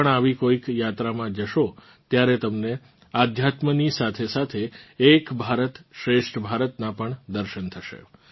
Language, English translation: Gujarati, If you too go on such a journey, you will also have a glance of Ek Bharat Shreshtha Bharat along with spirituality